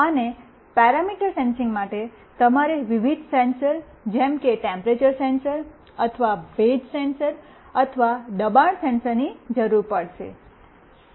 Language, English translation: Gujarati, And for parameter sensing, you need various sensors like temperature sensor or humidity sensor or pressure sensor